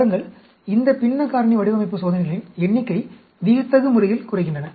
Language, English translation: Tamil, See, these fractional factorial designs reduce the number of experiments dramatically